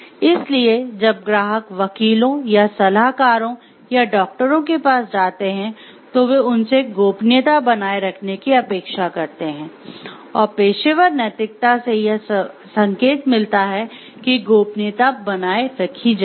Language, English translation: Hindi, So, when that clients go to attorneys or task on consultants or even doctors, they expect them to maintain confidentiality, and the professional ethics indicate that confidentiality will be maintained